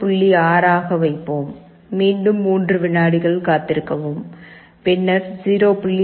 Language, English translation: Tamil, 6 again wait for 3 seconds, then 0